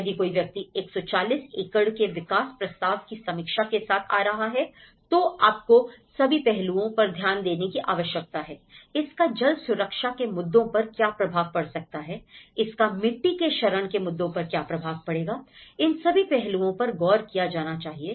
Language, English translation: Hindi, If someone is coming with 140 acre development proposal review, so you need to look at the all aspects, how it may have an impact on the water security issues, how it will have an impact on the soil degradation issues you know, that is all the aspects has to be looked in